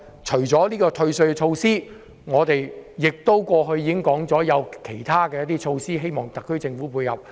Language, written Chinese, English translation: Cantonese, 除了今次的退稅措施，我們過去亦提出其他措施，希望特區政府考慮。, Apart from this tax reduction measures we have proposed others measures . I hope the SAR Government will also take them into consideration